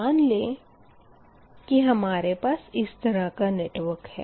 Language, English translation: Hindi, you have a network like this